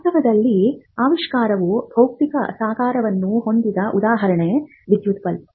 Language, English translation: Kannada, So, you see that an invention in reality the physical embodiment may look like any electric bulb